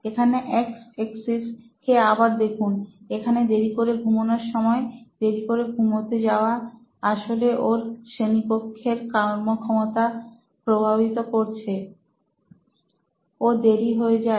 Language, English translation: Bengali, So here if you look at my x axis again, here the late hour of sleeping, of going to sleep actually impacts his performance to class, he is late